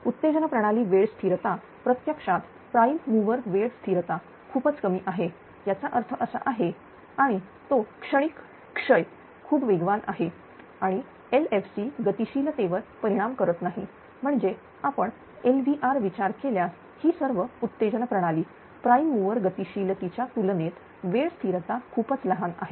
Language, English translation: Marathi, The excitation system time cost is actually very small the much comp then the prime mover time constant; that means, and it is a transient decay is much faster and does not affect the LFC dynamics actually that if you consider AVR loop all this excitation system is time constant is very very small compared to the prime mover dynamics, right